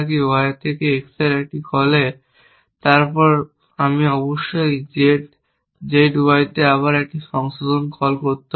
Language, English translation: Bengali, So, if I did something from y in a call from y to x then I must make a revise call to Z, Z Y again essentially